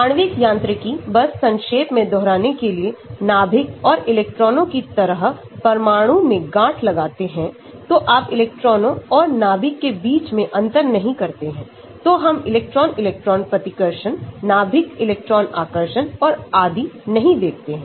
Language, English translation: Hindi, Molecular mechanics; just to recap nuclei and electrons are lumped into atom like particles, so you do not differentiate between the electrons and the nucleus, so we do not see electron electron repulsion, nucleus electron attraction and so on